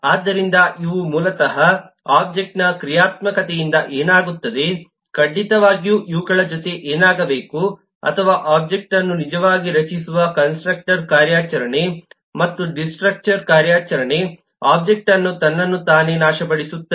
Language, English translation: Kannada, certainly what needs to be there in addition to these, or the constructor operation, which actually creates the object, and the destructor operation by which an object annihilates itself